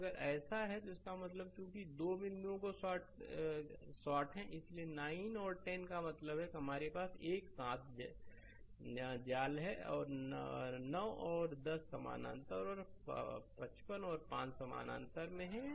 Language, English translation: Hindi, So, if it is so; that means, as these two point are shorted, so 9 and 10 I mean this we have trap together; 9 and 10 are in parallel and 55 and 5 are in parallel